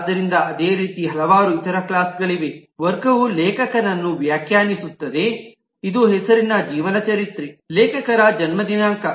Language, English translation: Kannada, So, similarly, there are several other classes, like class defining an author, which is a name, biography, birth date of the author